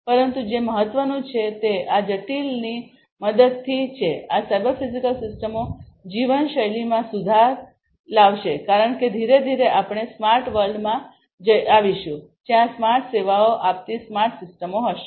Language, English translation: Gujarati, But what is important is with the help of these critical, you know, these cyber physical systems the quality of life will be improved because gradually we will be getting into smarter world, where there will be smarter systems offering smarter services smarter services